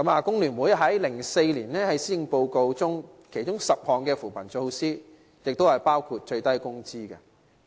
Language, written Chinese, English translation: Cantonese, 工聯會在2004年的施政報告中建議提出10項扶貧措施，包括訂定最低工資。, FTU suggested to include 10 poverty alleviation measures in the 2004 Policy Address including the setting of a minimum wage